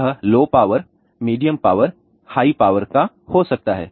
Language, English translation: Hindi, It can be a low power, medium power, high power basic proposes